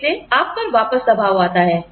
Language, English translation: Hindi, Again, pressure comes back on you